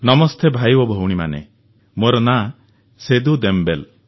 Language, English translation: Odia, "Namaste, brothers and sisters, my name is Seedu Dembele